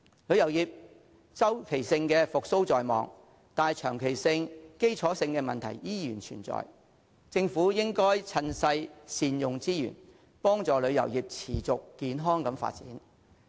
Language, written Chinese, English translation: Cantonese, 旅遊業周期性復蘇在望，但長期和基礎的問題仍然存在，政府應該趁勢善用資源，幫助旅遊業持續健康地發展。, Although there is hope of a cyclical recovery for the tourism industry some long - term and fundamental problems still exist . The Government should take the opportunity and utilize the resources to foster the sustainable and healthy development of the tourism industry